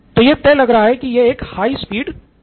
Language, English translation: Hindi, It is a fast train, high speed train